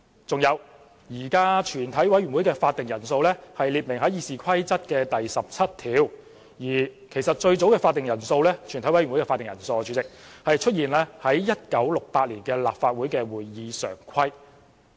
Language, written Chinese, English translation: Cantonese, 再者，現時全委會的會議法定人數列明於《議事規則》第17條，而最早的全委會會議法定人數出現於1968年立法局的《會議常規》。, Furthermore the quorum of a committee of the whole Council is now stipulated in RoP 17 and the quorum of a committee of the whole Council first appeared in the 1968 Standing Orders of the Legislative Council